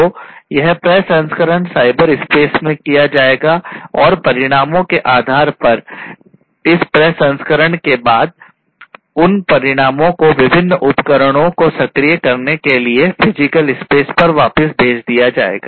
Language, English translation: Hindi, So, it will be done this processing will be done in the cyberspace and based on the results of this processing those results will be sent back to the physical space for actuating different devices right